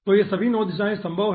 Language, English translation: Hindi, so all these 9 directions are possible